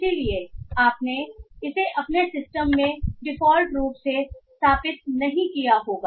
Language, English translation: Hindi, So you might not have installed this by default in your system